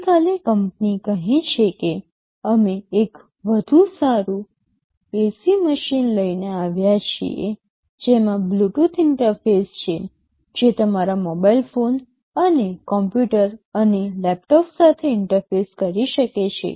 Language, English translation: Gujarati, Tomorrow the company says that we have come up with a better AC machine that has a Bluetooth interface, which can interface with your mobile phones and computers and laptops